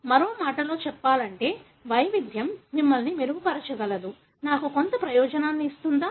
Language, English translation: Telugu, In other words, can variation make us better, give me some advantage